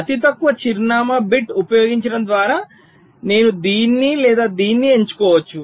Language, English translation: Telugu, so by using the list address bit i can select either this or this